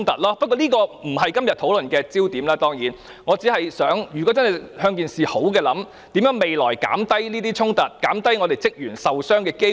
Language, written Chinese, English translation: Cantonese, 當然，這並非今天討論的焦點，我只是嘗試從正面的方向設想，看看未來如何減低這些衝突，減低職員受傷的機會。, Of course this is not the focus of our discussion today . I am only trying to look at it in a positive way and see how we can reduce these conflicts and the chance of staff members being injured in future